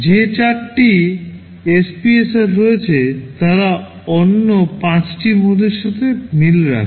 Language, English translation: Bengali, The 4 SPSRs which are there, they correspond to the other 5 modes